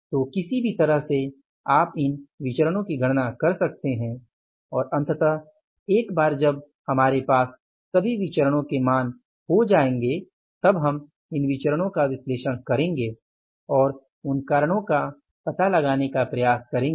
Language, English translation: Hindi, So, either way you can calculate these variances and finally once we have these values of the variances with us we will analyze these variances and try to find out the reasons for those variances